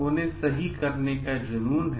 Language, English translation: Hindi, They have a passion to do right